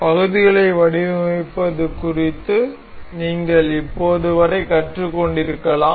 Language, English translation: Tamil, You may have learned up till now regarding designing of the parts